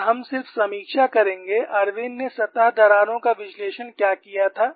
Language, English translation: Hindi, And we will just review what was the Irwin's analysis of surface cracks